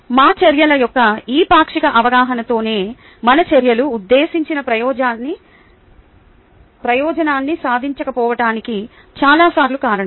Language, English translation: Telugu, it is this partial awareness of our actions that is responsible for many times our actions not achieving the intended purpose